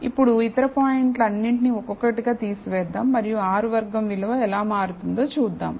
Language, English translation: Telugu, Now, let us remove all the other points one by one and let us see how the R squared value changes